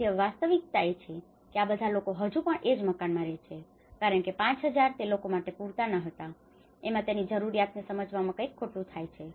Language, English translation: Gujarati, So, now the reality is all these people are still living in the same house despite that 5000 was not sufficient, and this is where something goes wrong in understanding the need